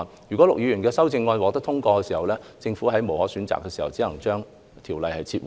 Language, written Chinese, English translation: Cantonese, 如果陸議員的修正案獲得通過，政府在別無選擇下，只能將《條例草案》撤回。, If his amendments are passed the Government will have no choice but to withdraw the Bill